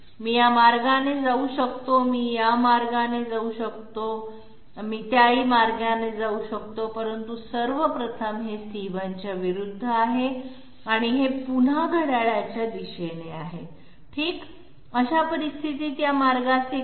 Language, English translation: Marathi, I can move this way, I can move this way and I can come this way but 1st of all this is opposite of C1 and this is again clockwise okay, so in that case what about this path